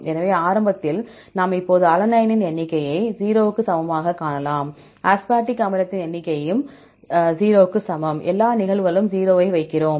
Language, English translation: Tamil, So, initially we can now see that number of alanine equal to 0, number of aspartic acid is equal to 0, for all the cases we put 0